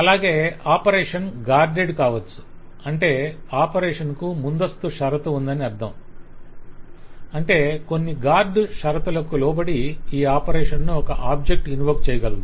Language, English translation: Telugu, operation could be guarded where in it means that the operation has a precondition, that is, I can invoke this operation from an object provided certain guard condition is satisfied